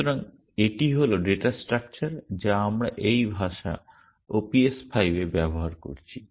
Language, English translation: Bengali, So, this is the data structure that we are using in this language OPS5